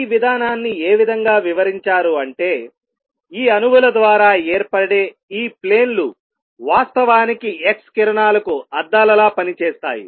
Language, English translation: Telugu, The way it was explained was that these planes, planes form by these atoms actually act like mirrors for x rays